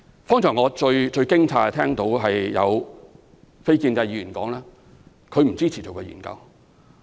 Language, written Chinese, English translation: Cantonese, 剛才我最驚訝的是聽到有非建制議員表示不支持進行研究。, Just now I was most surprised to hear non - establishment Members opposing the conduct of relevant studies